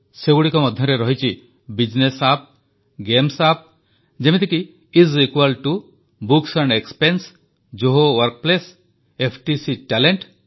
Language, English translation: Odia, There are many business apps and also gaming apps such as Is Equal To, Books & Expense, Zoho Workplace and FTC Talent